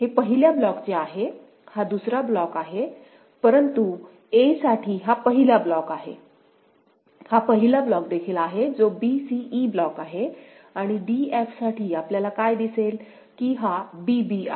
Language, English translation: Marathi, This one are is of the first block; this one is the second block, but for a this is first block, this is also first block that is a b c e block and for d f what we see that this is b b and this is a a